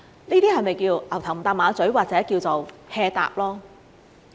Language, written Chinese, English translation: Cantonese, 這是否叫作"牛頭唔搭馬嘴"，或者叫做 "hea 答"？, Is this not a totally irrelevant reply? . Or a perfunctory one?